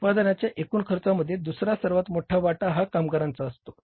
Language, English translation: Marathi, So, second largest contributor to the total cost of production is the labor